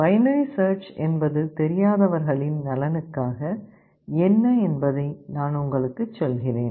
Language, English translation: Tamil, Let me tell you what binary search is for the sake of those who do not know it